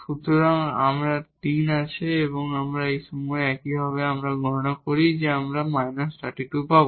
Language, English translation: Bengali, So, we have 3 and at this point similarly, if we compute we will get minus 3 by 2